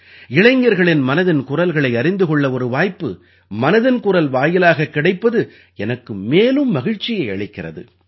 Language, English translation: Tamil, I am happy also about the opportunity that I get through 'Mann Ki Baat' to know of the minds of the youth